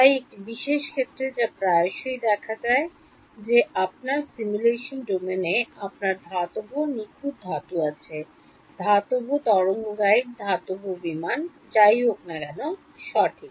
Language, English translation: Bengali, So a special case that often arises that in your simulation domain you have metal perfect metal: metallic waveguide, metallic aircraft, whatever right